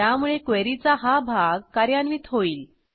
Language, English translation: Marathi, So this part of the query will be executed